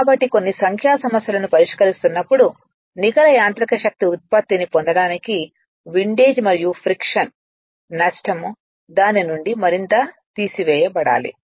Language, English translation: Telugu, So, few numerical I will show you; for getting net mechanical power output the windage and friction loss must be further subtracted from it